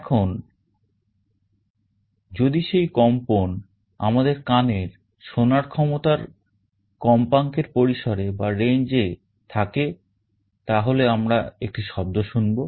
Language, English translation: Bengali, Now, if that vibration is in a frequency range that our ear can hear we will be hearing a sound